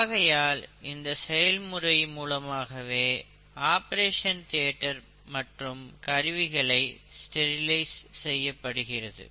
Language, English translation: Tamil, That is how an operation theatre is sterilized, how the instruments are sterilized